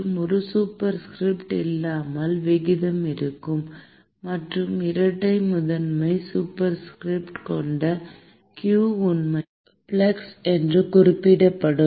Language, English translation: Tamil, And, so without a superscript would be rate; and q with a double prime superscript would actually be referred to flux